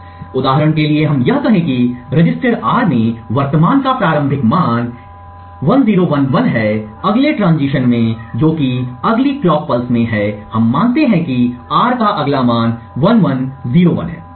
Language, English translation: Hindi, So, for example let us say that the initial value of present in the register R is 1011, in the next transition that is in the next clock pulse we assume that the next value of R is 1101